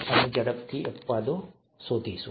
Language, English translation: Gujarati, We’ll quickly find exceptions